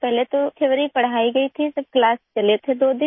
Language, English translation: Hindi, First the theory was taught and then the class went on for two days